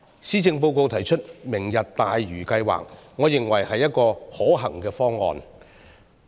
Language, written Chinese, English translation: Cantonese, 施政報告提出"明日大嶼"計劃，我認為是一個可行方案。, The Policy Address put forward the Lantau Tomorrow project which I believe is a viable plan